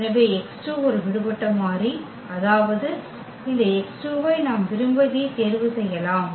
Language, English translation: Tamil, So, x 2 is free variable free variable; that means, we can choose this x 2 whatever we like